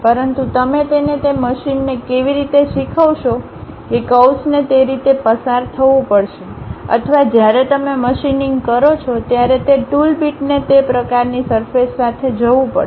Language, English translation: Gujarati, But, how will you teach it to that machine the curve has to pass in that way or the tool bit when you are machining it has to go along that kind of surface